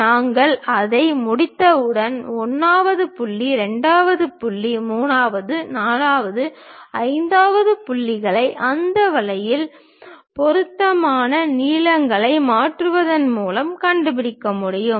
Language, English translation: Tamil, Once we are done with that we can locate 1st point, 2nd point, 3rd, 4th, 5th points by transferring appropriate lengths in that way